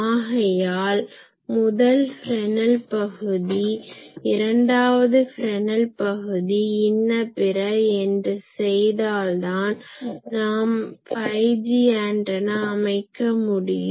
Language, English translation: Tamil, So, there are first Fresnel zone, second Fresnel zone etc that needs to be carried out if you want to have an antenna for that 5G etc